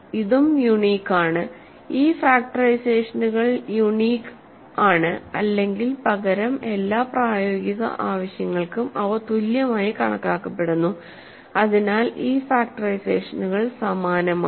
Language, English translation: Malayalam, So, this is also unique, these factorizations are unique or rather or for all practical purposes they are considered same, so these factorizations are same